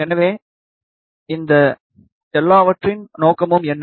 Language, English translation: Tamil, So, what is the purpose of all of these thing